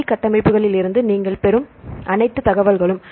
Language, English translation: Tamil, And all the information you get from the 3D structures